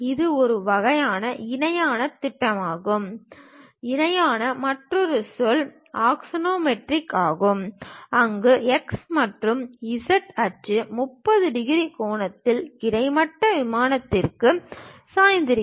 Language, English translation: Tamil, And it is a type of parallel projection, the other word for parallel is axonometric, where the x and z axis are inclined to the horizontal plane at the angle of 30 degrees